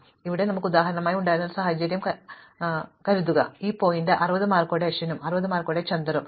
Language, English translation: Malayalam, So, imagine that we have a situation where here we had for example, at this point Ashwin with the 60 marks and Chander with also with 60 marks